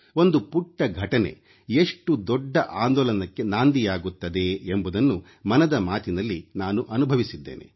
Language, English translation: Kannada, I've experienced through 'Mann Ki Baat' that even a tiny incident can launch a massive campaign